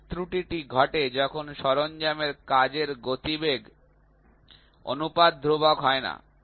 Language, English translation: Bengali, This error occurs when the tool work velocity ratio is not constant